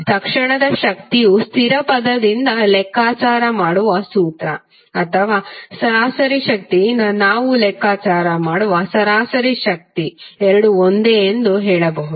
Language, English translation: Kannada, So we can say that the average power which we calculate from the formula or average power we calculate from the instantaneous power constant term of instantaneous power both are same